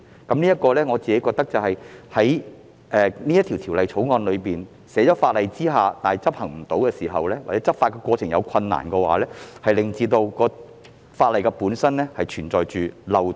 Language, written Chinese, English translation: Cantonese, 就此，我認為如《條例草案》只是將規定納入法例卻無法執行，或在執法過程存在困難時，則法例本身存在漏洞。, In this connection I will consider these to be loopholes in the legislation itself if the Bill simply seeks to incorporate the requirements into the legislation without providing for any enforcement methods or if there are difficulties in enforcing the law